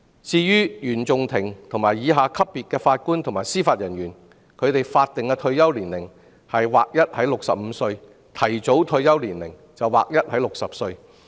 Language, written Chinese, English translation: Cantonese, 至於原訟法庭以下級別法官及司法人員的法定退休年齡則劃一為65歲，提早退休年齡則劃一為60歲。, As for JJOs below the CFI level they will have a uniform statutory retirement age of 65 and uniform early retirement age of 60